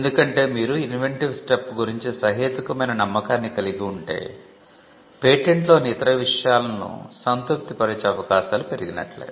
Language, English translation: Telugu, Because once you are reasonably confident about the inventive step, then the chances of the patent being granted other things being satisfied are much better